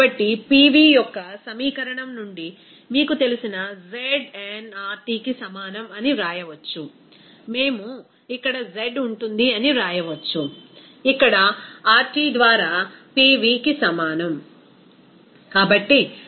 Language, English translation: Telugu, So, we can write that from the equation of Pv is equal to you know znRT, we can write here z will be is equal to here Pv by RT